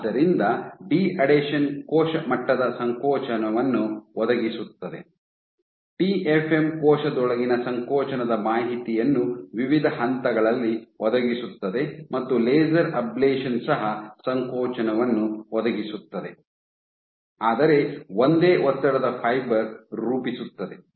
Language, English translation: Kannada, So, deadhesion provides the cell level contractility, TFM provides contractility information within the cell at different points and laser ablation also provides contractility, but form a single stress fiber